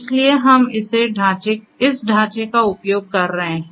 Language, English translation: Hindi, So, we are using this framework